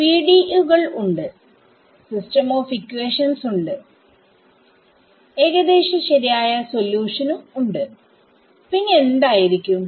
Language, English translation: Malayalam, I have the PDE s, I have a system of equations and I have an approximate solution what other things can you think of